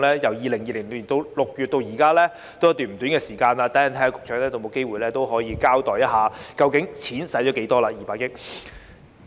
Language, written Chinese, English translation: Cantonese, 由2020年6月至今已過了一段不短的時間，稍後局長會否交代究竟該200億元已花了多少呢？, It has been quite some time since June 2020 will the Secretary explain to us later how much of the 20 billion has been spent?